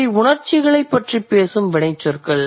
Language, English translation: Tamil, There are verbs which are, which talk about emotions